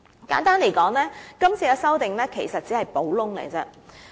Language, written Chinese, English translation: Cantonese, 簡單而言，這次的修訂其實只是補洞。, Simply put the amendments this time around actually amount just to a patching exercise